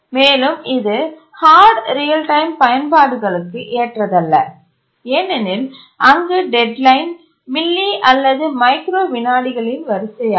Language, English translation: Tamil, It's not suitable for hard real time applications where the deadline is of the order of milly or microseconds